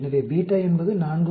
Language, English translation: Tamil, So beta is 4